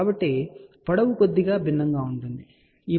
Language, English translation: Telugu, So, the lengths will be slightly different, ok